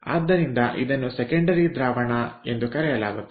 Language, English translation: Kannada, so this can be called a secondary fluid